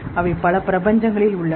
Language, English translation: Tamil, They are existing in multiple universes